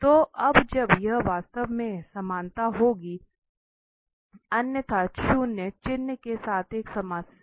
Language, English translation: Hindi, So, now when this exactly equality will happen, because otherwise there will be a problem with the minus sign